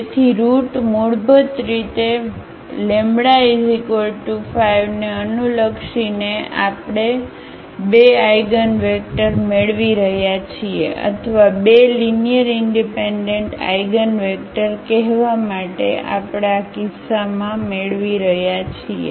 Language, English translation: Gujarati, So, basically corresponding to lambda is equal to 5 we are getting 2 eigenvectors or rather to say 2 linearly independent eigenvectors, we are getting in this case